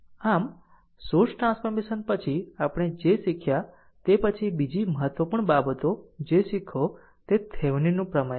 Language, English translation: Gujarati, So, after this after source transformation we have learned, next another important thing that you learn that is your Thevenin’s theorem right